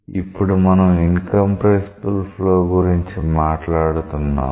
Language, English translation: Telugu, Now we are talking about incompressible flow